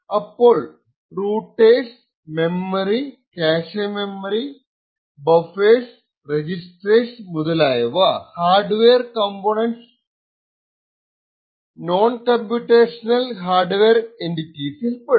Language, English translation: Malayalam, So, hardware components such as routers, interconnects memory, cache memories, buffers, registers and so on are non computational hardware entities